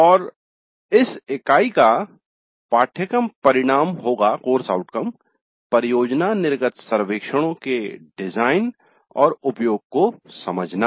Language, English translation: Hindi, So the outcome for this unit would be understand the design and use of project exit surveys